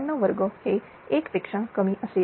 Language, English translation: Marathi, 97 square it will be less than 1, right